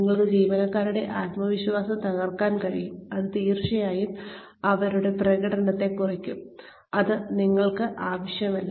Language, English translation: Malayalam, You could undermine the confidence of the employees, and it will definitely bring down their performance, and that, you do not want